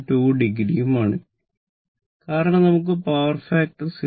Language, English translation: Malayalam, 2 degree because power factor we want 0